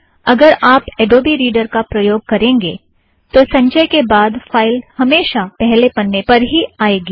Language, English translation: Hindi, IF you use adobe reader, after every compilation, the file always opens in the first page